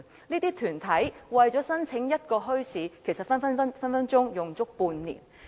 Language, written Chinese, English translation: Cantonese, 這些團體為了申辦一個墟市，動輒需花半年時間。, It usually takes an interested organization half a year to go through the application process for operating one bazaar